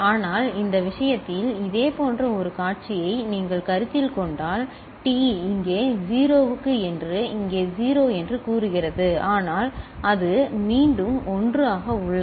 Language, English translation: Tamil, But in this case, if you consider a similar scenario say T is 0 over here over here over here it is 1, but it is remaining 1 again